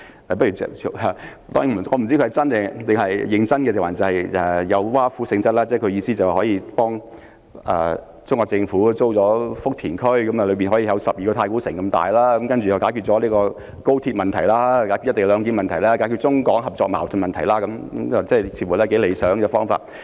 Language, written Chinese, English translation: Cantonese, 我不知道他是認真提出建議，還是有挖苦性質，但基本上，他的意思是政府可以向中國政府租用有12個太古城那麼大的福田區，用以興建房屋，這樣便可以解決高鐵問題、"一地兩檢"問題，以及中港合作或矛盾的問題，似乎是頗理想的方法。, I do not know whether Dr NG is serious or being sarcastic but basically his suggestion is that the Hong Kong Government can lease Futian which is 12 times as big as Taikooshing from the Chinese Government and build housing units there . That will solve the problems arising from the Guangzhou - Shenzhen - Hong Kong Express Rail Link and the co - location arrangement and problems of Mainland - China cooperation or conflicts . It seems to be an ideal solution